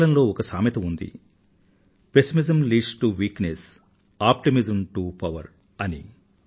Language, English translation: Telugu, In English too, it is said, 'Pessimism leads to weakness, optimism to power'